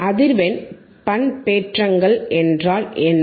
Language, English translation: Tamil, What are frequency modulations